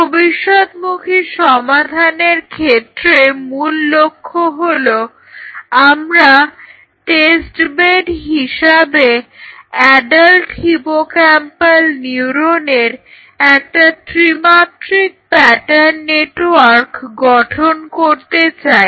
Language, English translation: Bengali, So, the futuristic search for solution starts with the core goal is we wish to have a 3 dimensional pattern network of adult hippocampal neuron as a test bed